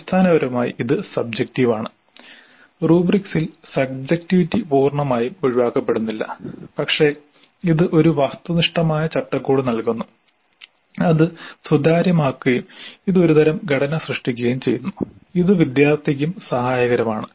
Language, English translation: Malayalam, Now essentially it is subjective, even with rubrics, subjectivity is not altogether eliminated but it does give an objective framework and it makes it transparent and it also creates some kind of a structure which is helpful to the student also